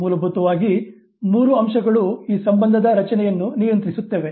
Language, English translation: Kannada, Basically three factors govern formation of this association